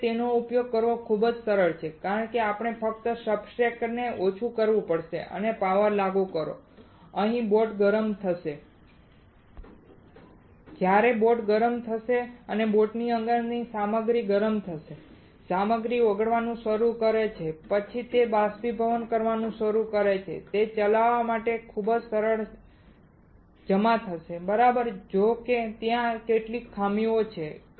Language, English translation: Gujarati, However, this is very simple to use it because we have to just lower the substrate and apply the power and boat will get heated up, when boat will get heated up, this of the material within the boat gets heated up, the material starts melting then it starts evaporating it will get deposited super simple to operate right; however, there are some of the drawbacks